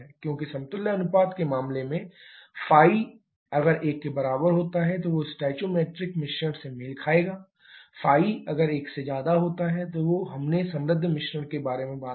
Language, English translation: Hindi, Because in case of equivalent ratio the ϕ equal to 1 corresponds to the stoichiometric mixture, ϕ greater than 1 we talked about rich mixture